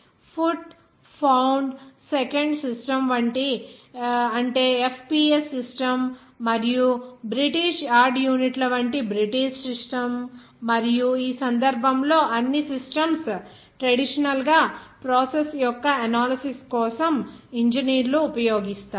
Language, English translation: Telugu, The foot pound second system, that is FPS system short form the and the British System of units like British yard and this case, of course, all the systems are conventionally used by engineers for analysis of Process